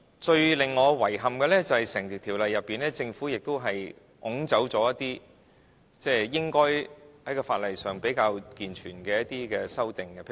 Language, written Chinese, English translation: Cantonese, 最令我遺憾的，就是《條例草案》中，政府亦抽走一些在法例上比較健全的修訂。, The most regrettable thing is in my opinion that the Government has deleted certain sound and robust amendments proposed under the Bill